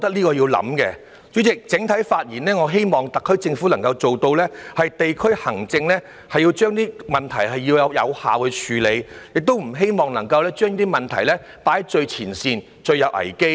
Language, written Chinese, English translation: Cantonese, 代理主席，整體而言，我希望特區政府能夠做到，在地區行政上有效地處理問題，不要把問題放在最前線、最有危機的位置。, Deputy President overall speaking I hope that the SAR Government manages to effectively deal with the problems in district administration instead of putting them at the very frontline where risks are highest